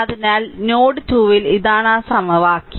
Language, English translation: Malayalam, So, at node 2 this is that equation right